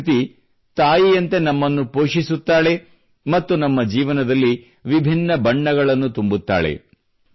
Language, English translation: Kannada, Nature nurtures us like a Mother and fills our world with vivid colors too